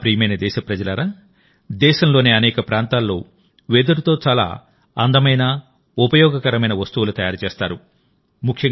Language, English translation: Telugu, My dear countrymen, many beautiful and useful things are made from bamboo in many areas of the country